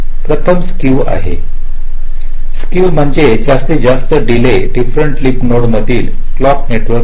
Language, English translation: Marathi, skew says maximum delay different between any leaf nodes on the clock network